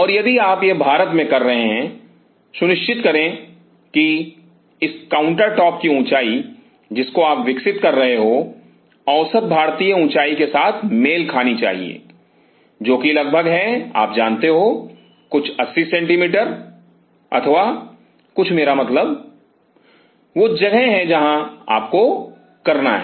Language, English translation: Hindi, So, ensure that the height of this countertops what you are developing should match with the average Indian height which is around you know, something between around 80 centimeter or something I mean that is where you have to